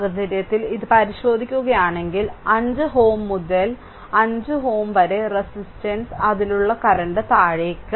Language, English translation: Malayalam, So, in this case, if you if you look into this so, that 5 ohm to the 5 ohm resistance the current in the, that I in that I downwards